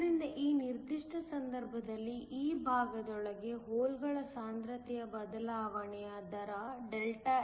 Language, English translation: Kannada, So, in this particular case the rate of change of hole concentration within this portion Δx